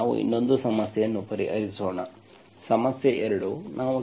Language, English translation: Kannada, Now let us solve one more problem, problem 2